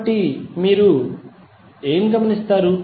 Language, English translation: Telugu, So, now what you will observe